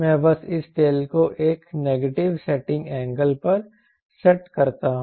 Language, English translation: Hindi, what i should do, i simply we set this tail at a negative setting angle, i t